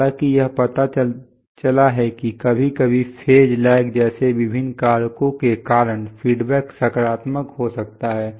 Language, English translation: Hindi, However, it turns out that sometimes feedback can turn positive because of various factors like phase lags